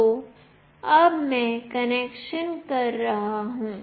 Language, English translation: Hindi, So now, I will be doing the connection